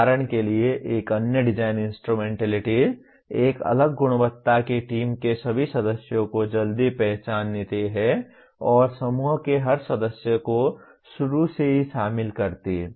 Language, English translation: Hindi, For example another design instrumentality, still of a different quality, identify all members of the team early on and include every member in the group communications from the outset